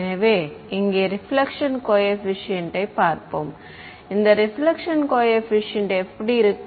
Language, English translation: Tamil, So, let us look at the reflection coefficient over here what is this reflection coefficient look like